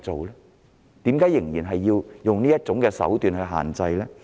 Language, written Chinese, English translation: Cantonese, 為甚麼仍然要以此手段作出限制？, Why should restrictions be imposed by using such means?